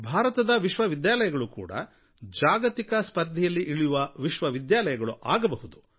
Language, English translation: Kannada, Indian universities can also compete with world class universities, and they should